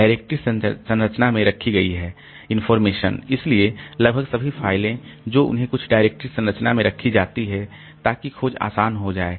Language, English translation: Hindi, Information kept in the directory structure so almost all the files they are kept in some directory structure such that the search becomes easy